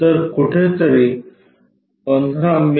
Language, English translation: Marathi, So, 15 mm somewhere